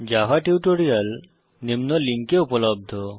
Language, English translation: Bengali, Java tutorials are available at the following link